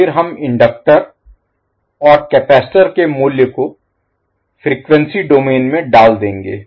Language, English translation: Hindi, And then we will put the value of the inductors and capacitor, in frequency domain